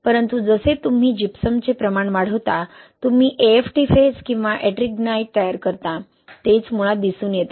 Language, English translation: Marathi, But as you increase the amount of gypsum, you form a AFT phase or Ettringite, that is what it is showing basically